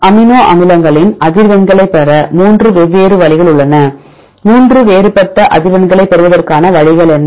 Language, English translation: Tamil, There are 3 different ways to get the frequencies of amino acids; what are 3 different ways to get the frequencies